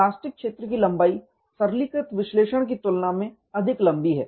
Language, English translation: Hindi, The plastic zone length is much longer than the simplistic analysis